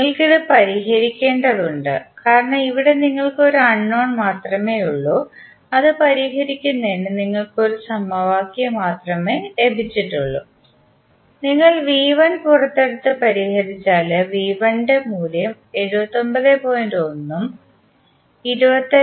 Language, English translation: Malayalam, You have to just simply solve it because here you have only 1 unknown and you have got one equation to solve it, you simply take V 1 out and solve it you will get the value of V 1 as 79